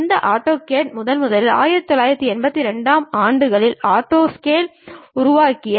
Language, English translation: Tamil, And this AutoCAD is mainly first created by Autodesk, as early as 1982